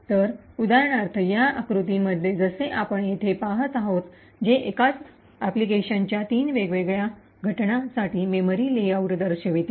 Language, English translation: Marathi, So, for example in this figure as we see over here which shows the memory layout for three different instances of the same application